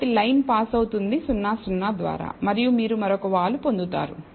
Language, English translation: Telugu, So, the line will pass through 0 0 and you will get another slope